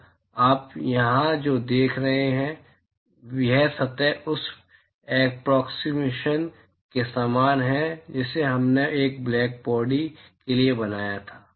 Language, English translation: Hindi, So, what you see here, this surface is very similar to the approximation that we made for a blackbody